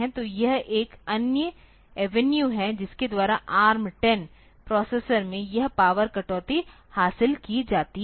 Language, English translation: Hindi, So, this is another avenue by which this power reduction is achieved in ARM10 processor